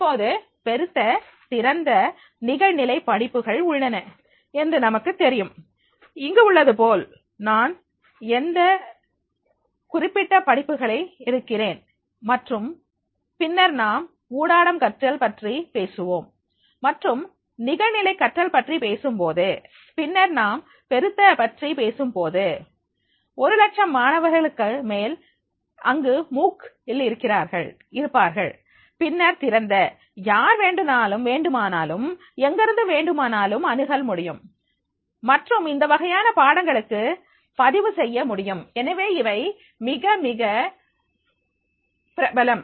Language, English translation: Tamil, Now there are the massive open online courses as we know, like here I will take these same examples of the certain courses and then when we talk about the intellectual learning or when we are talking about the online learning, then we are talking about the messu, there may be the more than 1 lakh students plus in a MOOC and then the open anyone can access from anywhere and can register for this type of the courses and therefore these are becoming very, very popular